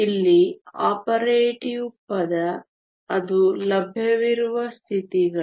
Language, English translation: Kannada, The operative word here, that it is the available states